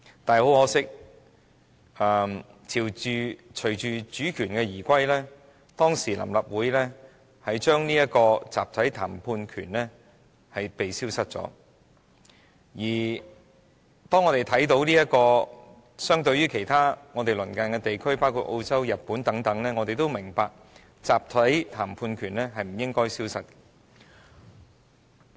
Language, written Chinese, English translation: Cantonese, 很可惜，隨着主權移歸，當時的臨時立法會令集體談判權消失了，而當我們與鄰近地區，包括澳洲、日本等比較時，我們也明白集體談判權是不應該消失的。, Unfortunately following the reunification the Provisional Legislative Council then did away with the right to collective bargaining and when we compare ourselves with such neighbouring regions as Australia and Japan we all understand that the right to collective bargaining should not go